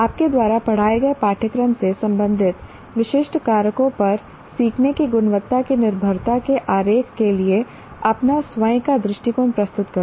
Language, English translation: Hindi, Present your own view through a diagram of the dependence of the quality of learning on specific factors related to a course you taught